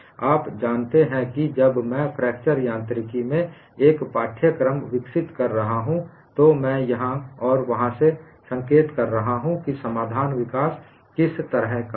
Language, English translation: Hindi, When I am developing a course in fracture mechanics, I am pointing out then and there, what is a kind of solution development